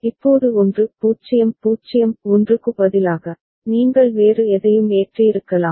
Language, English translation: Tamil, Now instead of 1 0 0 1, you could have loaded any other thing